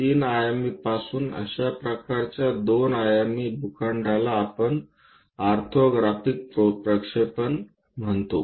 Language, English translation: Marathi, Such kind of 2 dimensional plots from 3 dimensional, we call as orthographic projections